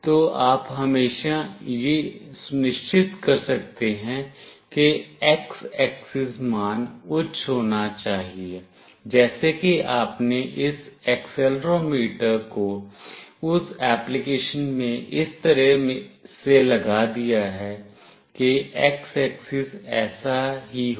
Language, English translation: Hindi, So, you can always make sure that the x axis value should be high such that you have put up this accelerometer in that application in such a way that x axis is like this